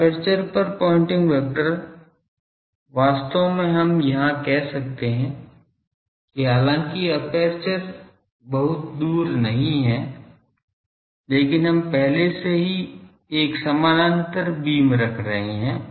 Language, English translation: Hindi, Pointing vector over aperture that actually here we can say that though aperture is not very far away, but we are having the already a parallel beams